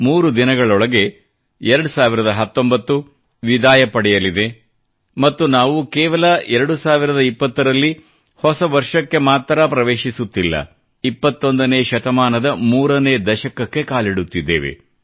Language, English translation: Kannada, In a matter of just 3 days, not only will 2019 wave good bye to us; we shall usher our selves into a new year and a new decade; the third decade of the 21st century